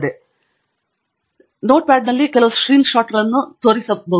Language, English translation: Kannada, So here I have shown you some screen shots in Notepad